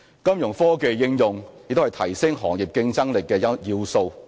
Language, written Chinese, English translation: Cantonese, 金融科技應用也是提升行業競爭力的要素。, The application of financial technology Fintech is also a key element to enhance the competitiveness of the sector